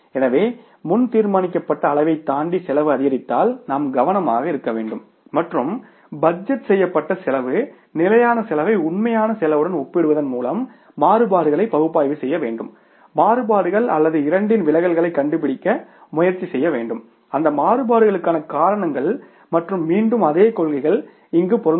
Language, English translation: Tamil, So, if the cost increases beyond the pre decided levels then we have to be careful, analyze the variances by comparing the budgeted cost, standard cost with the actual cost, find out the variances or the, means the deviations in the two and try to find out the reasons for those variances and again same principle applies here